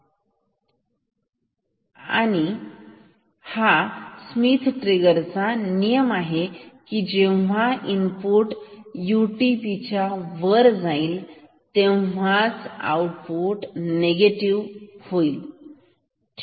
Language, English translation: Marathi, Then the rule of this Schmitt trigger is that output will become positive when the input goes above UTP ok